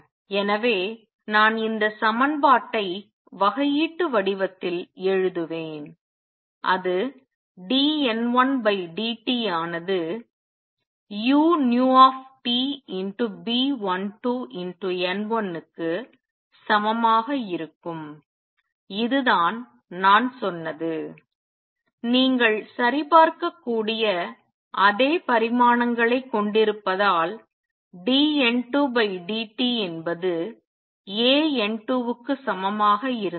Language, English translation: Tamil, So, therefore, I would write this equation in differential form it will become dN 1 over dt would be equal to minus u nu T B 12 times N 1 and this is what I said has the same dimensions as a that you can check because dN 2 dt was equal to A times N 2